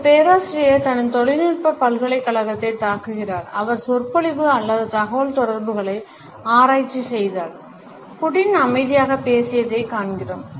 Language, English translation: Tamil, A professor attacks his tech university who researches non verbal communication explained and we see Putin’s spoke calmly even though what he was saying was pretty combative